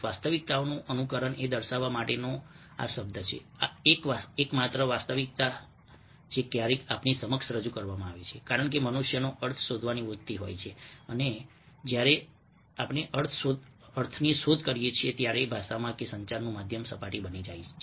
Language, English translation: Gujarati, this is the term to indicate that simulation, if realities, the only realities which is sometimes presented to us, because human beings have a tendency of searching for meanings, and when we search for meaning, the language at the communicating medium becomes the surface through which we try to penetrate and reach to some ultimate meaning